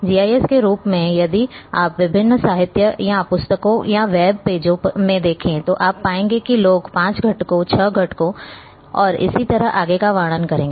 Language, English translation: Hindi, GIS is a if you see different literature or books or on web pages, you would find people will describe maybe five components, six components and so and so forth